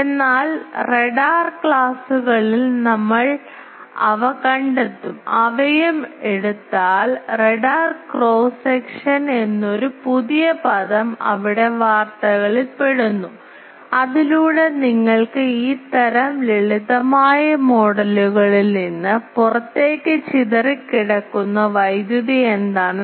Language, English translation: Malayalam, So, that in radar classes we will come across that if we take they also there is a new term called radar cross section gets into news there and by that again what is the back scattered power that comes from these type of simple models you can find